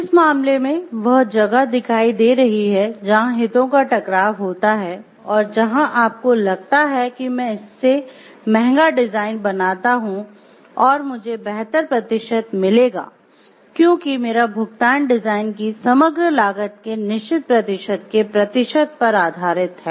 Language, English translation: Hindi, So, in that case it is coming from where like appearance of a conflict of interest; where you find like I create expensive design in the expectation that I will get better percentages because my payment is based on the percentages of the certain percentages of the overall cost of the design